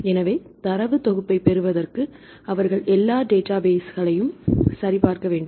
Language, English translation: Tamil, So, for getting a data set, they have to check all the databases